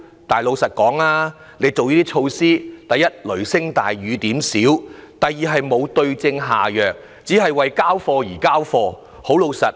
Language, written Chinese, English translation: Cantonese, 但是，老實說，政府推出的措施，第一，雷聲大雨點小；第二，沒有對症下藥，只是為交差而提出。, But honestly these Government measures are firstly all thunder but no rain; and secondly not the right cure for the ailment but are introduced just for the sake of satisfying the boss